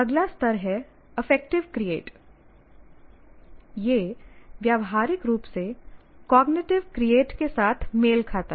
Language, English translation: Hindi, Now the next level, affective create, now it is practically coincides with that of cognitive create